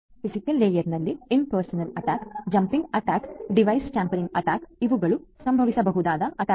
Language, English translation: Kannada, At the physical layer, impersonation attack, jamming attack; device tampering attack are all these different possibilities